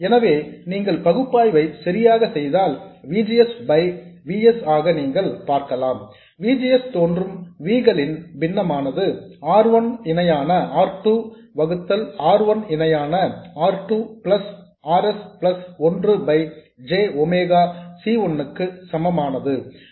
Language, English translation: Tamil, So, if you do the analysis correctly, you will see that VGS by VS, basically the fraction of VS that appears as VGS, this is equal to R1 parallel R2 divided by R1 parallel R2 plus RS plus 1 by J omega C1, which can be written as J omega C1 R1 parallel R2 divided by 1 plus J omega C1 R1 parallel R2 plus RS